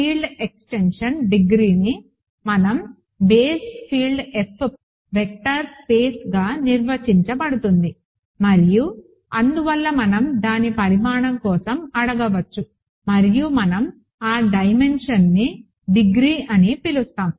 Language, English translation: Telugu, And degree of the field extension was defined when we view K as a vector space over the base field F, and hence we can ask for its dimension and we call that dimension the degree of the extension